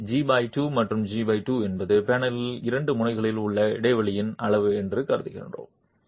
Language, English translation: Tamil, Here we are assuming that G by 2 and G by 2 is the size of the gap on the two ends of the panel itself